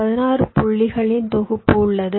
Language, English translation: Tamil, there is a set of sixteen points